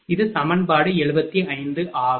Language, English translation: Tamil, So, this is equation is 80